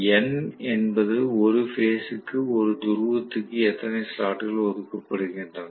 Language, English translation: Tamil, And N is how many slots are allocated per pole per phase